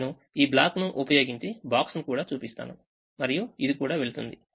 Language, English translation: Telugu, now i'll also show it using this block, using a box, and this will go